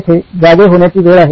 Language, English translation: Marathi, Here is the time he wakes up